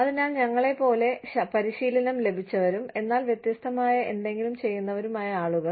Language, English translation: Malayalam, So, people, who are as trained, as skilled as us, but are doing, something different